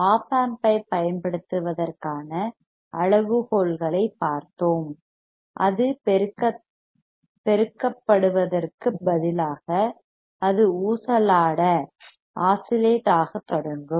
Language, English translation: Tamil, We have seen the criteria that Op amp can be used in such a way that instead of amplifying, it will start oscillating